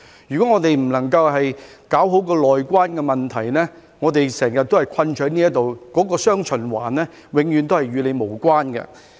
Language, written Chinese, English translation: Cantonese, 如果不能夠搞好"內關"的問題，我們便會困在這裏，"雙循環"永遠都與我們無關。, If the resumption of cross - boundary travel cannot be properly dealt with we will be trapped here and dual circulation will never be relevant to us